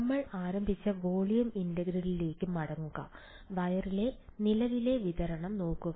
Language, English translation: Malayalam, Go back to the volume integral, that we had started with, the current distribution on the wire